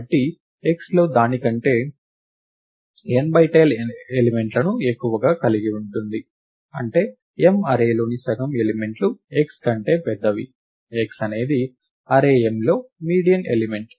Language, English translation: Telugu, Therefore, x has n by 10 elements larger than it; that is half the elements in the array M are larger than x, x being the median element in the array M